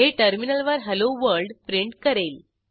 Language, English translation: Marathi, This prints Hello World on the terminal